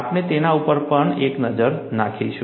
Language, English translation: Gujarati, We will also have a look at them